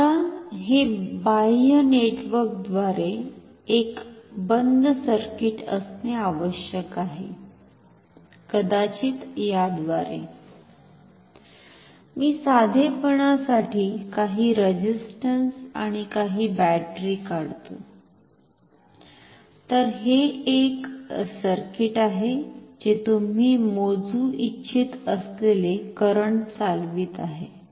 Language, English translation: Marathi, Now, this must have a closed circuit through the external network, maybe through let me just draw for simplicity some resistance and some battery, this is the circuit which is driving the current which you want to measure